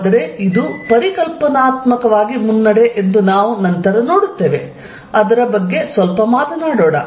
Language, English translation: Kannada, But, we will see later that this is a conceptual advance, let me just talk a bit about it